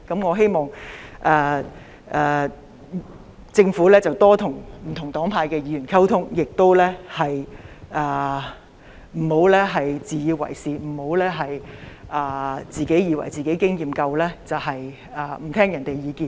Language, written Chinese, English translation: Cantonese, 我希望政府會多些與不同黨派的議員溝通，不要自以為是，不要以為自己經驗豐富，便不聆聽別人的意見。, I hope the Government will spend more time on communicating with Members of different political parties and camps . The Government should not be dogmatic and refuse to listen to other peoples views thinking that it is well - experienced